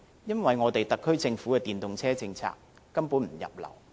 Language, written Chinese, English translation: Cantonese, 因為特區政府的電動車政策根本不入流。, This is because the SAR Governments policy on EVs is simply not worth any mentioning at all